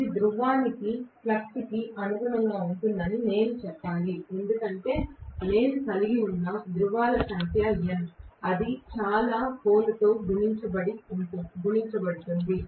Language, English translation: Telugu, I should say this corresponds to flux per pole because there are N number of poles I can have; you know that multiplied by so many poles